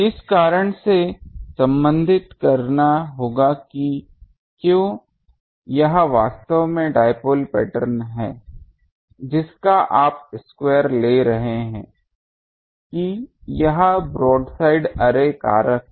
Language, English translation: Hindi, Will have to relate this that is why; this is actually dipole pattern this you are taking square of that this is the broadside array factor